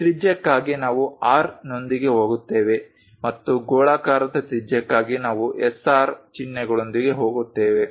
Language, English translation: Kannada, For radius we go with R and for spherical radius we go with SR symbols